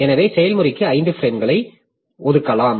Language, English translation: Tamil, So we can allocate 5 frames to the process